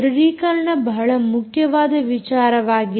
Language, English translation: Kannada, authentication is a very important thing